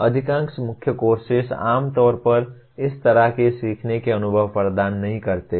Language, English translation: Hindi, Most of the core courses do not generally provide such learning experiences